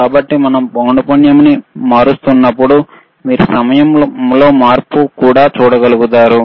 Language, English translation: Telugu, So, you can also see that when we are changing frequency, you will also be able to see the change in time